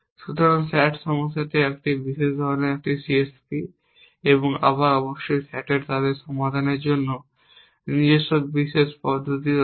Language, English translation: Bengali, So, the sat problem is special kind of a CSP and again of course sat has its own specialize approaches to solving them